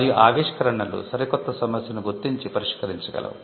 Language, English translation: Telugu, And inventions can also identify and solve a brand new problem